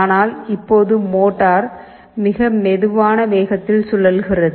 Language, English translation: Tamil, If you look into the motor, it is rotating at a slower speed